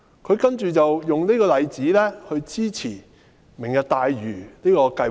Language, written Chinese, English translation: Cantonese, 他接着用這個例子來支持"明日大嶼"計劃。, Then he used this example to justify his support for the Lantau Tomorrow Vision project